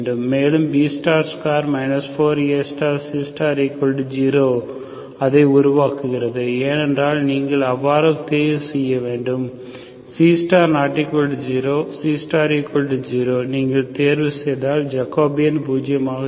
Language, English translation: Tamil, And B star square 4 AC star is zero, that makes it, because you to choose C star as nonzero, if you choose C star equal to 0, then the Jacobian will be zero